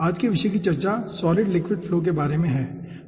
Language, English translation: Hindi, todays topic will be discussing about solid liquid flow